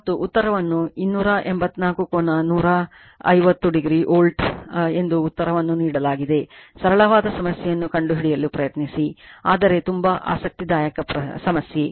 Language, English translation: Kannada, And the answer is given 284 angle 150 degree volt answer is correct you try to find out very simple problem, but very interesting problem , right